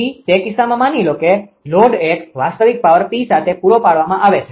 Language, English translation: Gujarati, So, in that case assume that a load is supplied with a real power P